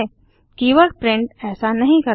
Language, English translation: Hindi, The keyword print does not